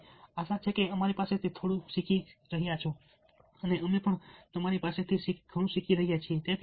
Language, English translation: Gujarati, so as, hopefully, you are learning a little bit from us, we are also learning a lot from you